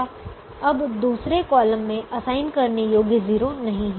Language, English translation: Hindi, now second column does not have an assignable zero